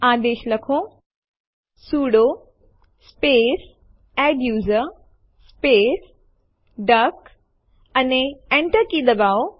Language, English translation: Gujarati, Type the command#160: sudo space adduser space duck, and press Enter